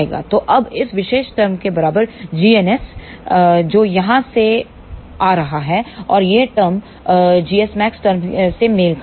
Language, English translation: Hindi, So, now, g n s equal to this particular term, which is coming from here and this term corresponds to the g s max term